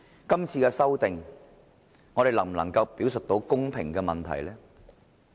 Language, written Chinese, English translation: Cantonese, 今次的修訂，我們能否表述到公平呢？, Can we demonstrate any fairness in amending the RoP this time?